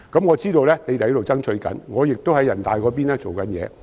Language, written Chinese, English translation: Cantonese, 我知道當局正在爭取，我也會在人大層面多做工夫。, I know that the authorities are making efforts and I will also try to do more as a member of National Peoples Congress